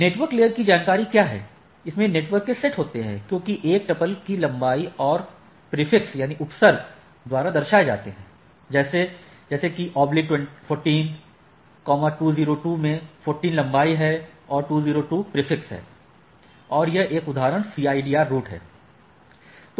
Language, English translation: Hindi, So, it says that what is the network layer information; so it is consist of a set of network represented by a tuple that is length and prefix like it says that tuple 14 202 like one example represent that the CIDR route as this so and so forth right